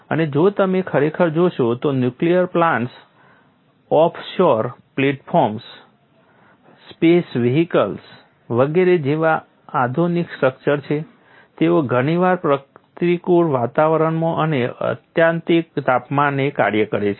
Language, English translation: Gujarati, And if you really look at the modern structures such as nuclear plants, offshore platforms, space vehicles etcetera they often operate in hostile environments and at extreme temperatures